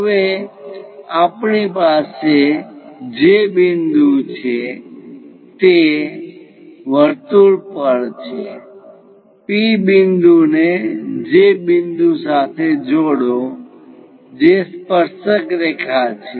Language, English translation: Gujarati, Now, we have that J point on the circle, connect P point and J point to construct a tangent line